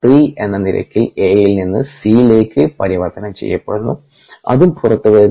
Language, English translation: Malayalam, a gets converted to c at the rate of r three, which also comes outside